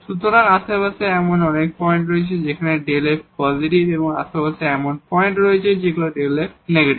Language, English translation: Bengali, So, there are points in the neighborhood where the delta f is positive and there are points in the neighborhood where this delta f is negative